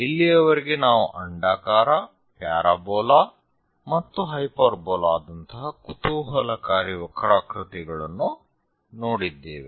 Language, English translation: Kannada, So, till now we have looked at very interesting curves like ellipse, parabola and hyperbola